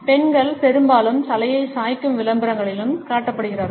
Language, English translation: Tamil, Women are often also shown in advertisements tilting their heads